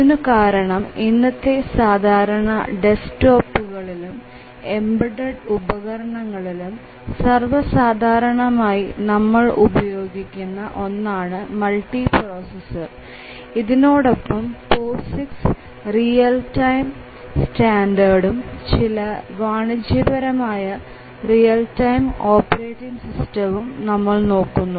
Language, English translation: Malayalam, Because nowadays multiprocessors are becoming common place even the desktops embedded devices have multiprocessors and then we will look at the Posix real time standard and then we will look at some of the commercial real time operating system